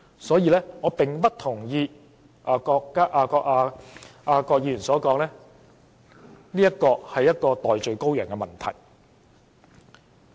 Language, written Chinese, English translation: Cantonese, 所以我不同意郭議員所說，《條例草案》是找代罪羔羊。, I therefore do not share the view of Dr KWOK that the Bill intends to find a scapegoat